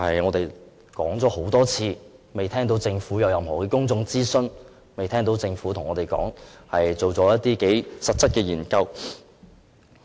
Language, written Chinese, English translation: Cantonese, 我們已就此多次向政府提出，卻仍未聽到政府說會進行任何公眾諮詢或實質研究。, Although we have put forward our proposals to the Government repeatedly we have still not heard the Government say that any public consultation or concrete study would be conducted